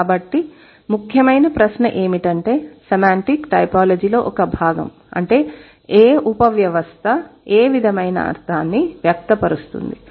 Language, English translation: Telugu, So, the central question that is a part of semantic typology is that what is that subsystem which expresses what kind of meaning